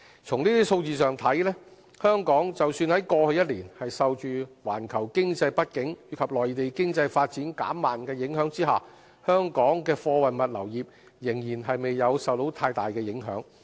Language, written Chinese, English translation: Cantonese, 從這些數字上看，即使香港在過去一年受着環球經濟不景及內地經濟發展減慢的影響下，香港的貨運物流業仍未有受太大的影響。, Judging from these figures the freight logistics sector of Hong Kong has not been greatly affected in the face of a global economic downturn and a slowing down of economic growth in the Mainland over the past year